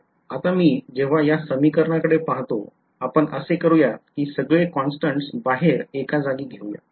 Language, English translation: Marathi, Now when I look at this expression let us just gather all the constants outside